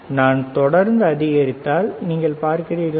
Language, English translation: Tamil, If I keep on increasing, you see